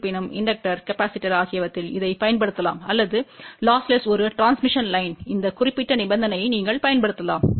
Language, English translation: Tamil, However, you can apply this for inductor, capacitor or a transmission line which is lossless you can apply this particular condition